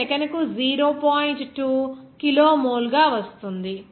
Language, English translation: Telugu, 2 kilomole per second